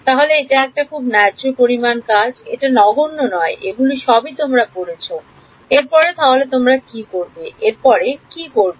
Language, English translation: Bengali, So, its a fair amount of work its not trivial having done that you have read in all of these what you do next what would you do next